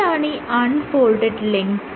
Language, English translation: Malayalam, What is the unfolded length